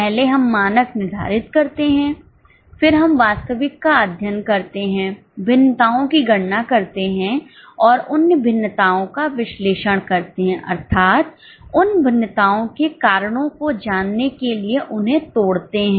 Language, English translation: Hindi, First we set the standard, then we study the actual, compute the variances and analyze the variances, that is, break them down for knowing the reasons for variances